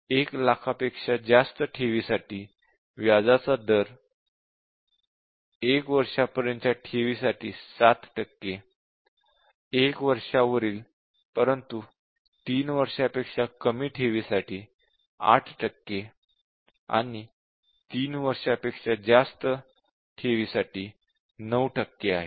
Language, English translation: Marathi, For deposits of more than 1 lakh, that is principal greater than 1 lakh the rate of interest is 7 percent for deposit up to 1 year, 8 percent for deposit over 1 year but less than 3 years and 9 percent for deposits over 3 year and above